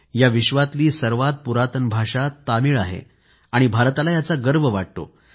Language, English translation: Marathi, India takes great pride in the fact that Tamil is the most ancient of world languages